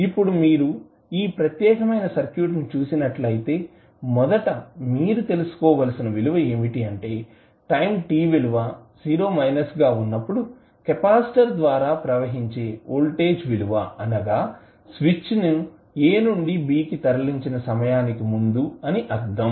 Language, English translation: Telugu, Now, if you see this particular circuit, the value which you need to first find out is what is the value of the voltage across capacitor at time is equal to 0 minus means just before the switch was thrown from a to b